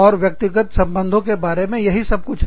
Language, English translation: Hindi, And, that is what, personal relationships are, all about